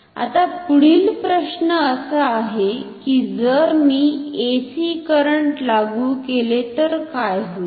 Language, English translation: Marathi, Now, the next question is what will happen if I apply AC current